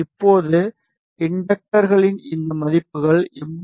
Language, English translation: Tamil, Now these values of inductors are 82